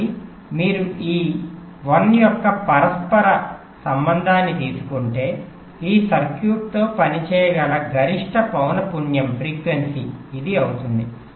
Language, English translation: Telugu, so if you take the reciprocal of this, one by this, this will be the maximum frequency with this circuit can operate